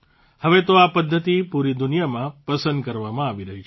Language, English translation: Gujarati, Now this technique is being appreciated all over the world